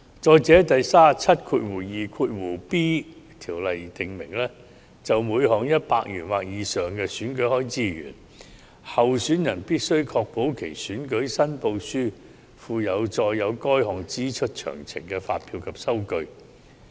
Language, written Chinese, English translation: Cantonese, 再者，第 372b 條訂明，就每項100元或以上的選舉開支而言，候選人必須確保其選舉申報書附有載有該項支出詳情的發票及收據。, In addition section 372b specifies that candidates must ensure that their election returns are accompanied by an invoice and a receipt giving particulars of the expenditure in the case of each election expense of 100 or more